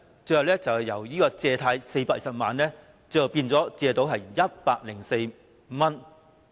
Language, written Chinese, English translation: Cantonese, 最後是原來借貸的420萬元，她只是收到104元。, It eventually turned out that she received only 104 for the loan of 4.2 million that she was supposed to have taken out originally